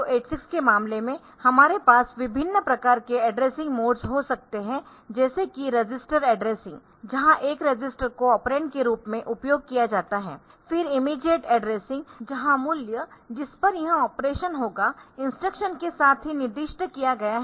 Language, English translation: Hindi, So, in case of 8086 so we can have different types of addressing like register addressing, where a register is used as the operand then immediate addressing where the value on which this operation will take place is specified with the instruction itself ok